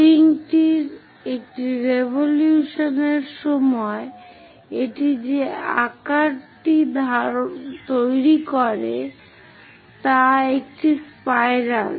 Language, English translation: Bengali, During one revolution of the link, the shape what it forms is a spiral